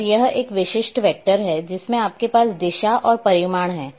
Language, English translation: Hindi, And it is a typical vector so you are having direction and magnitude